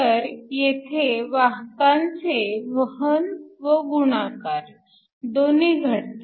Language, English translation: Marathi, So, You have both carrier transport and multiplication